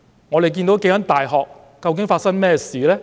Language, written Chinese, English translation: Cantonese, 我們看到數間大學究竟發生甚麼事呢？, What did we see happening at several universities?